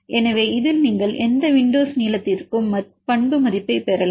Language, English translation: Tamil, So, you take any window length and get the values